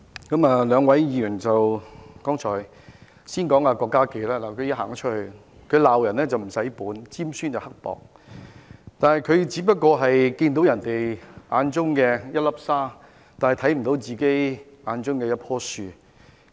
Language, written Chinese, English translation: Cantonese, 我先談談現在已離席的郭家麒議員，他"鬧人唔使本"，尖酸刻薄；他的眼中只看到別人的一粒沙，卻看不見自己的一棵樹。, He never minces his words in lambasting others in a bitterly sarcastic tone . In his eyes there is only a sand grain of others but not a tree of his own